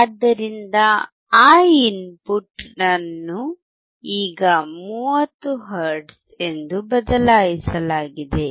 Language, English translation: Kannada, So, that input is now changed to 30 hertz